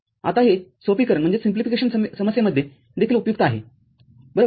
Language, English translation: Marathi, Now, this can be useful in simplification problem as well right